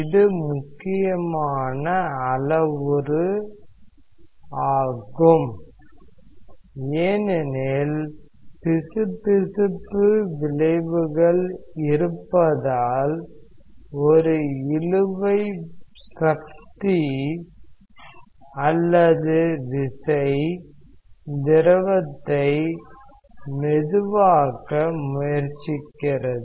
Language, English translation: Tamil, This is a physically interesting parameter because of the viscous effects there is a drag force that is there that is the plate tries to slow down the fluid